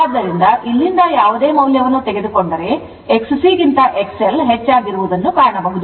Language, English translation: Kannada, So, if you take any value from here, you will find X L greater than X C